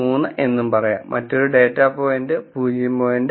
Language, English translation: Malayalam, 3 and, another data point could be no 0